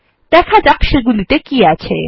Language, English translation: Bengali, Let us see what they contain